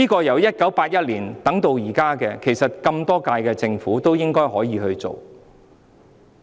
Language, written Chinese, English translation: Cantonese, 由1981年等到現在，其實多屆政府本應可以處理此事。, Since 1981 in fact many terms of Government could have handled this matter